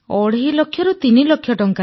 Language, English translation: Odia, 5 lakh rupees, three lakh rupees